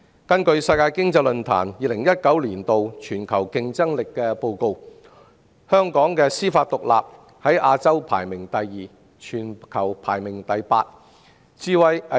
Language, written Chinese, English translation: Cantonese, 根據世界經濟論壇公布的《2019年全球競爭力報告》，香港的司法獨立在亞洲排名第二，全球排名第八。, According to the Global Competitiveness Report 2019 published by the World Economic Forum Hong Kong ranked second in Asia and eighth globally in terms of judicial independence